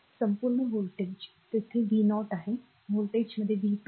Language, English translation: Marathi, Across is voltage is v 0 here across voltage is v 2